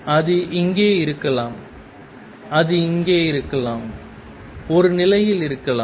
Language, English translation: Tamil, It may be here, it may be here, at one position